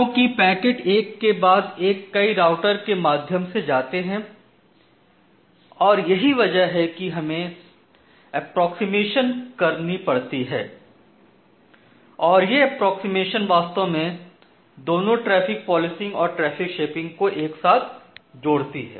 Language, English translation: Hindi, Because the packets are going via multiple routers one after another and that is why we do certain level of approximation and that approximation actually combines both traffic policing and traffic shaping all together